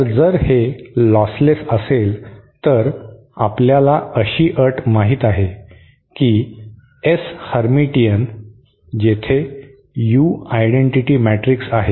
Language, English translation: Marathi, So if it is lostless then we know the condition that S hermitian where U is the identity matrix